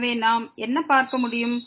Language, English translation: Tamil, So, what we can also see